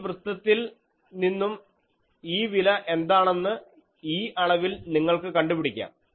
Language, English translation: Malayalam, And now, from this plot, you find out what is this value in this scale